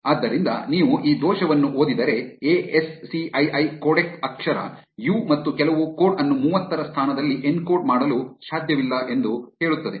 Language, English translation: Kannada, So, if you read this error it says that ASCII codec cannot encode character u and some code in position 30